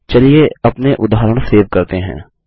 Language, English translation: Hindi, Let us save our examples